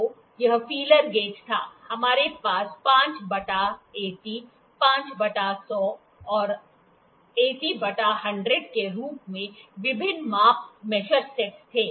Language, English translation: Hindi, So, this was the feeler gauge, we had various the measure sets as 5 to 80, 5 by 100, 80 by 100